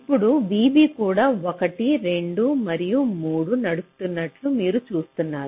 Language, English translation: Telugu, so you see now v b is also driving one, two and three